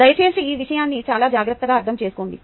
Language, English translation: Telugu, please understand this point very carefully